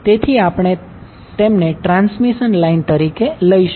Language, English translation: Gujarati, So, we call them as a transmission line